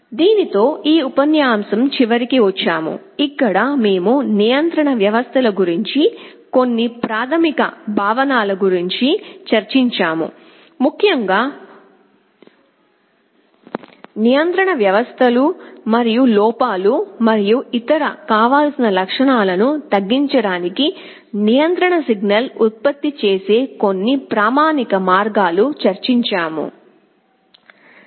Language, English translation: Telugu, With this we come to the end of this lecture, where we have discussed some basic concepts about control systems in particular the feedback control systems and some standard ways of generating the control signal to minimize errors and other desirable properties